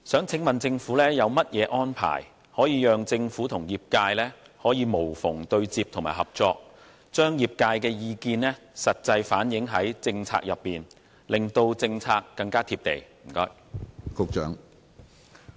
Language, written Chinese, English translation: Cantonese, 請問政府有何安排，讓政府可與業界無縫對接和合作，切實地在政策中反映業界的意見，令政策更貼地？, May I ask what arrangements the Government have for facilitating seamless connection and cooperation between the Government and the industry and truthfully reflecting in the policy the industry views so that the policy will be more down - to - earth?